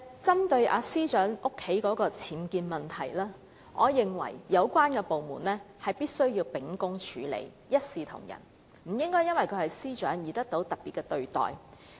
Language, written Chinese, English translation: Cantonese, 針對司長家中的僭建問題，我認為有關部門必須秉公處理，一視同仁，不應因為其司長身份而給予特別待遇。, Regarding the UBWs in the residence of the Secretary for Justice I think the relevant department must handle the case impartially and in accordance with the law . No special treatment should be given to the Secretary for Justice with regard to her status